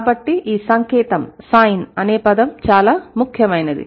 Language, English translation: Telugu, So, this term is very important